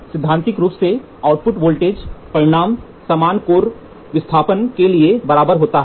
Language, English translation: Hindi, Theoretically, the output voltage magnitudes are of are very small are the same for equal core displacement